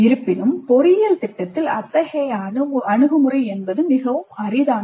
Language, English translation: Tamil, However such an approach is quite rare in engineering programs